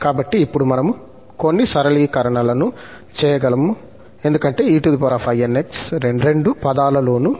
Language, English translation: Telugu, So, we can now do some simplification because the e power inx is present in both the terms